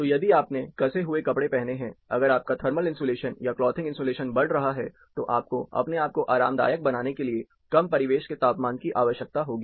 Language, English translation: Hindi, So, if you are tightly dressed, if your thermal insulation, clothing thermal insulation is getting higher, you will need lower ambient temperatures, for yourself to be comfortable